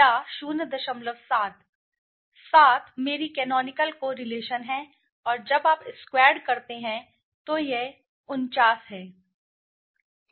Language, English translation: Hindi, 7 is my canonical correlation you squared it and when you squared it suppose it is